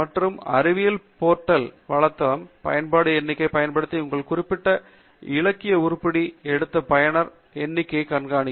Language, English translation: Tamil, And the Web of Science portal keeps track of the number of users who have picked up your particular literature item by using the usage count